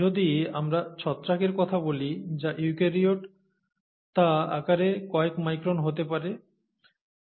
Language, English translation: Bengali, If we talk of fungi which are eukaryotes that could be a few microns in size, fungal cell